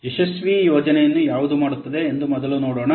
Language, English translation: Kannada, See first let's see what makes a successful project